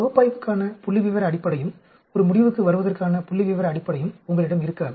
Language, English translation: Tamil, You will not have a statistical basis for analysis and statistical basis for coming to a conclusion